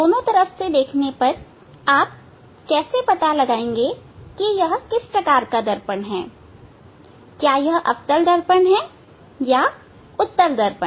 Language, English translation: Hindi, If I give you a mirror, how you will identify whether it is concave mirror or convex mirror